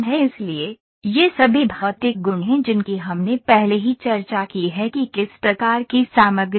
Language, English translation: Hindi, So, these are all material properties we have already discussed what the kind of materials are